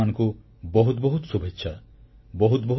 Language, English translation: Odia, I wish you many felicitations